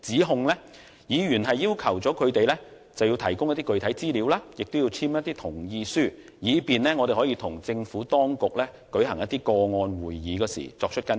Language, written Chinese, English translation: Cantonese, 就此，議員要求他們提供具體資料及簽署同意書，以便與政府當局舉行個案會議的時候跟進。, In this connection Members requested them to provide substantial information and written consent to facilitate Members follow - up on the issues with the Administration at the case conference